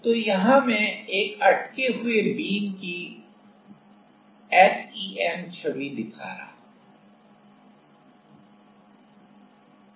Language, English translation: Hindi, So, here I am showing one of the SEM image of a stuck beam